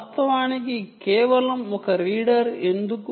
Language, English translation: Telugu, in fact, why just one reader